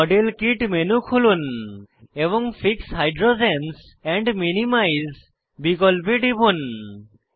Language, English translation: Bengali, Open the modelkit menu and click on fix hydrogens and minimize option